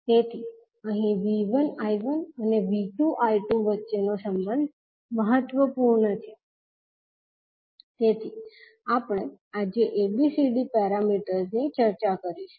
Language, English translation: Gujarati, So here the relationship between V 1 I 1 and V 2 I 2 is important so we will discuss the ABCD parameters today